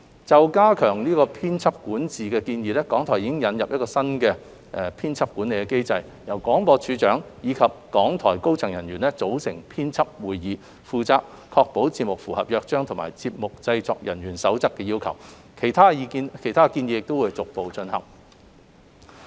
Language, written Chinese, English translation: Cantonese, 就加強編輯管治的建議，港台已引入新的編輯管理機制，由廣播處長及港台高層管理人員組成編輯會議，負責確保節目符合《約章》及《節目製作人員守則》的要求，其他建議亦會逐步進行。, On the recommendation of enhancing editorial governance RTHK has introduced a new editorial management mechanism under which D of B and RTHKs senior management would hold editorial meetings so as to ensure the programmes comply with the requirements stipulated in the Charter and the Producers Guidelines . Other recommendations will be implemented progressively